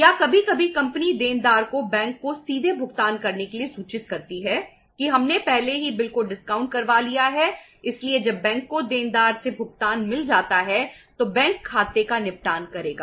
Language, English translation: Hindi, Or sometime company informs the debtor that to directly make the payment to the bank we have already got the bill discounted so when the bank gets the payment from the debtor then bank will settle the account